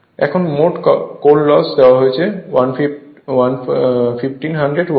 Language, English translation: Bengali, Now, total core loss is given 1500 watt